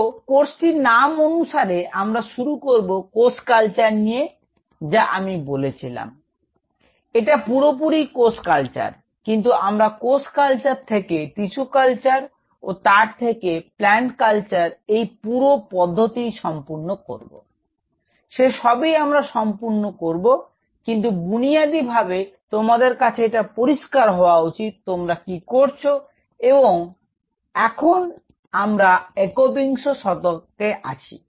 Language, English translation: Bengali, So, to start off with in order to since course title is cell culture, I told you; this is purely what is the cell culture, but we will be covering the whole spectrum from cell culture to tissue culture to its plant culture, all those things we will be covering, but for the basics, it should be very clear to you; what you are doing and now we are into 21st century